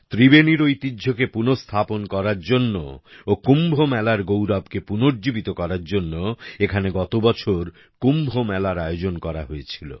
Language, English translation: Bengali, Kumbh Mela was organized here last year to restore the cultural heritage of Tribeni and revive the glory of Kumbh tradition